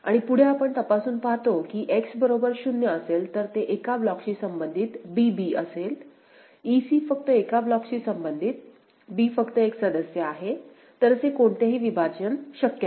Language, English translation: Marathi, And further we examine, we see that for X is equal to 0, it is b b belonging to one block; e c belonging to one block only; no issue or b it is only one member; so, no such partitioning possible